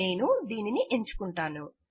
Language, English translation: Telugu, I will select this one